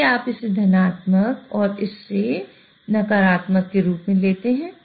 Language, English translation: Hindi, So you take this as positive and this as negative